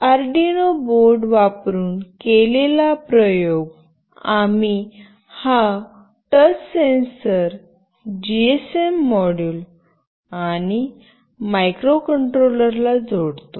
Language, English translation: Marathi, The experiment we have done using the Arduino board where we connect this touch sensor, the GSM module and the microcontroller